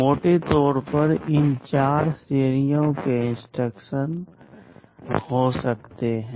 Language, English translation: Hindi, There can be broadly these 4 categories of instructions